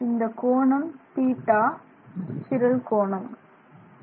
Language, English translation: Tamil, The angle is the chiral angle